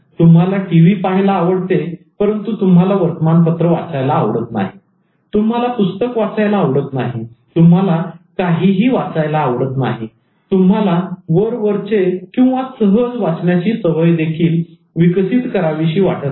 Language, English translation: Marathi, For instance, you like to watch TV but you don't want to read newspaper, you don't want to read a book, you don't want to read at all, you don't want to develop that reading habit